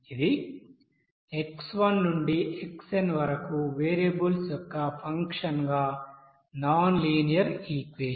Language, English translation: Telugu, This is one nonlinear equation as a function of variables like x1 to xn